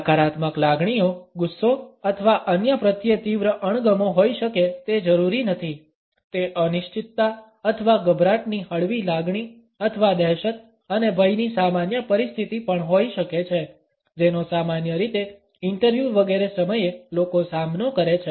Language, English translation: Gujarati, The negative emotion may not necessarily be anger or a strong dislike towards other; it may also be a mild feeling of uncertainty or nervousness or a normal situation of apprehension and fear which people normally face at the time of interviews etcetera